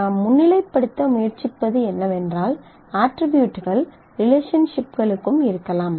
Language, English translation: Tamil, So, all that I am trying to highlight is attributes can be assigned to relationships as well